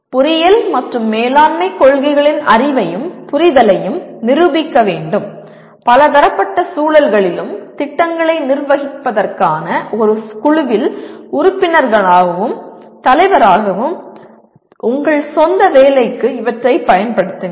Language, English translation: Tamil, Demonstrate knowledge and understanding of the engineering and management principles and apply these to one’s own work, as a member and a leader in a team to manage projects and in multidisciplinary environments